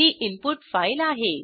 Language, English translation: Marathi, This is the input file